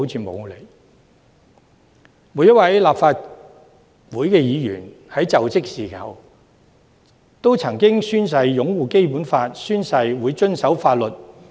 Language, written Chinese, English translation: Cantonese, 每位立法會議員在就職時均曾經宣誓擁護《基本法》及遵守法律。, Every Legislative Council Member has sworn to uphold the Basic Law and comply with the law during the inauguration